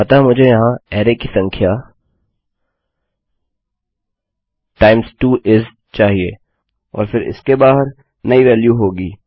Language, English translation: Hindi, So I need the number in the array here times 2 is and then outside of this is going to be the new value